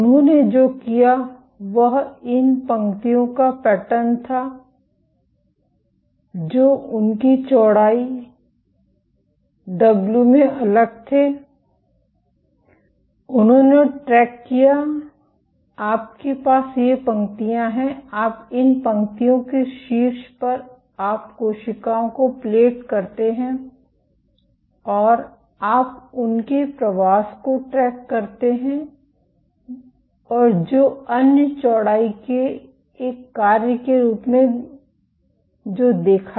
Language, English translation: Hindi, What they did was they pattern these lines which varied in their width, w and they tracked, you have these lines you plate cells on top of these lines and you track their migration and what they observed as a function of width